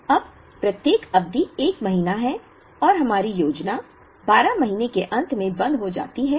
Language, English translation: Hindi, Now, each period is a month and our planning stops at the end of the 12 month